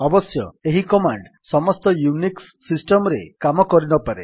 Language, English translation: Odia, This command may not work in all Unix systems however